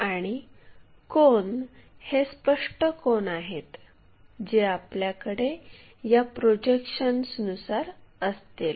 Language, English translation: Marathi, And, the angles are also apparent angles we will have it as projections